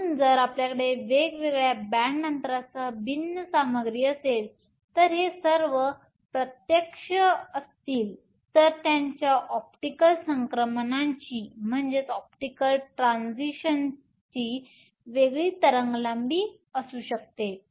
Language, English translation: Marathi, So, if you have different material with different band gaps and all of these are direct then their optical transitions will have different wave lengths